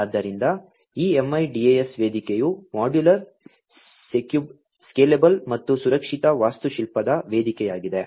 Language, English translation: Kannada, So, this MIDAS platform is a modular, scalable, and secure architectural platform